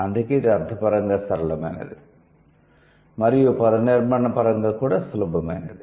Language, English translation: Telugu, So, that is why this is semantically simple, morphologically is also simple